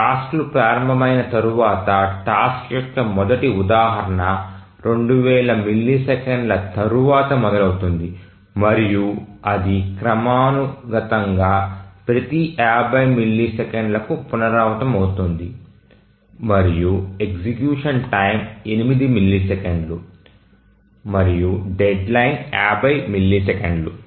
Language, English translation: Telugu, And then once the task starts the first instance of the task starts after 2,000 milliseconds and then it periodically recurs every 50 milliseconds and the execution time may be 8 milliseconds and deadline is 50 milliseconds